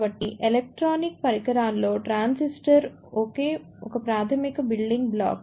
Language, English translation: Telugu, So, transistor is a basic building block in electronic devices